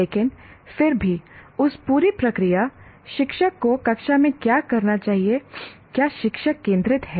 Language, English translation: Hindi, But still that entire process is teacher centric, what the teacher should be doing in the class